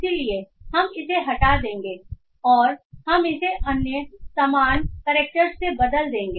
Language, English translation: Hindi, So we will be removing them and we replace it with other normal characters